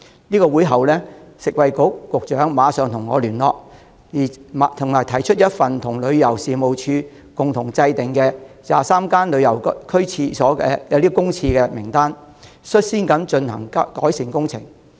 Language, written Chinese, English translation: Cantonese, 在會後，食物及衞生局局長馬上與我聯絡，並提出一份與旅遊事務署共同擬定的旅遊區公廁名單，率先針對名單上的23間公廁進行改善工程。, After the session the Secretary for Food and Health contacted me immediately with a list drafted in collaboration with the Tourism Commission of public toilets in tourist areas of which a first batch of 23 public toilets was singled out for improvement works